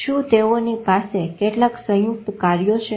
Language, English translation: Gujarati, Do they have some combined functions